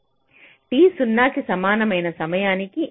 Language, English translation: Telugu, at time, t equal to zero